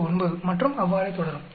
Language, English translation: Tamil, 009 and so on actually